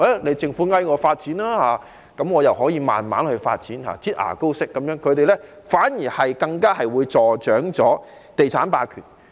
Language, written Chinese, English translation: Cantonese, 待政府懇求他們參與發展時，他們才"擠牙膏"式慢慢發展，這樣會助長地產霸權。, When the Government earnestly requests them to participate in the development they will provide the site slowly like squeezing toothpaste from a tube . This will end up encouraging property hegemony